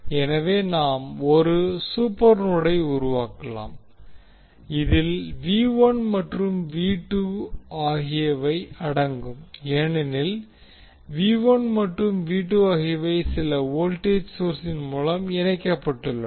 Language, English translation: Tamil, So what we can do, we can create 1 super node, which includes V 1 and V 2, because these V 1 and V 2 are connected through some voltage source